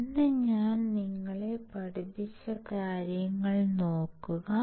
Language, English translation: Malayalam, Looking at the things that I have taught you today